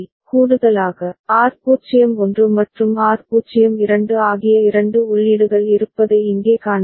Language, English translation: Tamil, Additionally, here you can see there are two other inputs which are R01 and R02